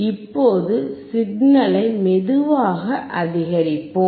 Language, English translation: Tamil, Now, let us increase the signal slowly